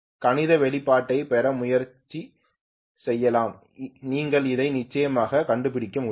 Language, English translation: Tamil, You can try to derive the mathematical expression also you guys would be able to definitely figure it out